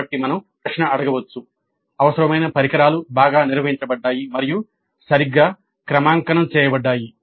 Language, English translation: Telugu, So we can ask the question required equipment was well maintained and calibrated properly